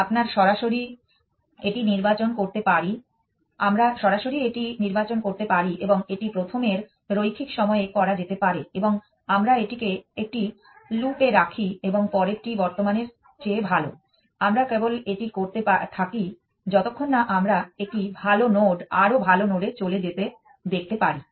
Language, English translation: Bengali, We can directly select that and this can be done in linear time of first and we just put this in a loop while next is better than current, we just keep doing this as long as we can see a better node move to the better node